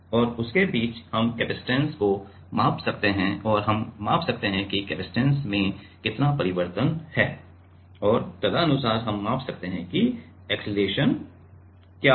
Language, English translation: Hindi, And, in between them we will measure the we can measure the capacitance and we can measure that how much is a change in the capacitance and accordingly we can measure that, what is the acceleration